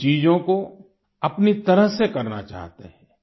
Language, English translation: Hindi, They want to do things their own way